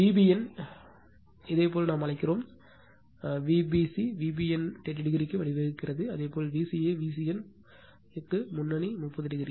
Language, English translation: Tamil, V b n your what we call your v your V b c leading to V b n by 30 degree; and similarly your V c a leading V c n by 30 degree right